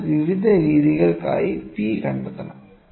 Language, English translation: Malayalam, So, we have to find out this P for various methods